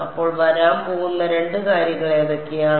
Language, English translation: Malayalam, So, what are the two things that will come